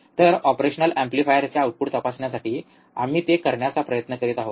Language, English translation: Marathi, So, that is what we are trying to do, of checking the output of the operational amplifier